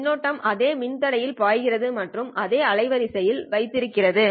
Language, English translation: Tamil, Flowing in the same resistor and having the same bandwidth